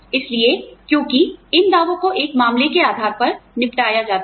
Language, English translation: Hindi, So, you know, since these claims are dealt with, on a case by case basis